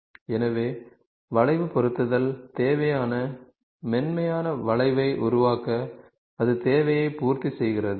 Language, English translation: Tamil, So, the curve fitting, to generate the necessary smooth curve, that that satisfies the requirement ok